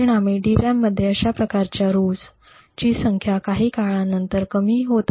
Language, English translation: Marathi, As a result, the number of such rows present in a DRAM was actually reducing over a period of time